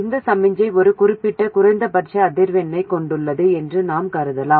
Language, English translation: Tamil, As before we assume that the signal frequency has some minimum value which is not zero